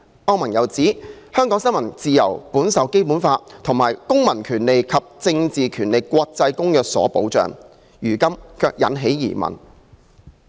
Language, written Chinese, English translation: Cantonese, 歐盟又指，香港新聞自由本受《基本法》和《公民權利和政治權利國際公約》所保障，如今卻引起疑問。, It also pointed out that the incident has cast doubts on the freedom of the press in Hong Kong which is protected by the Basic Law and the International Covenant on Civil and Political Rights